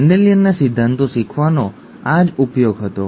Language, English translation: Gujarati, That was the use of learning Mendelian principles